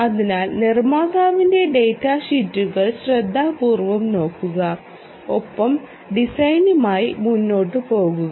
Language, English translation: Malayalam, ok, so do look at the manufacturers data sheets carefully and go ahead with the design